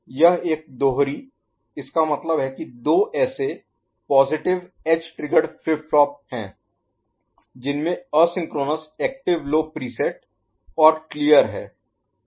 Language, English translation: Hindi, It is a dual; that means two such positive edge triggered flip flop is there with asynchronous active low preset and clear